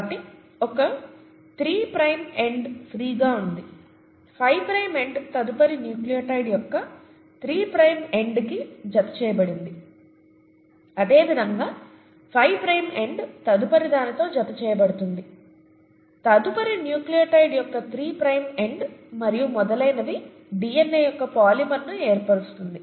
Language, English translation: Telugu, So you have one three prime end that is free, the five prime end attaches to the three prime end of the next nucleotide, similarly the five prime end attaches to the next, to the three prime end of the next nucleotide and so on and so forth to form the polymer of DNA